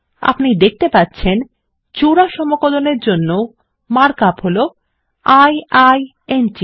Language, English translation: Bengali, As we can see, the mark up for a double integral is i i n t